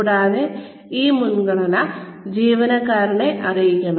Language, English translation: Malayalam, And, this priority, should be made known, to the employee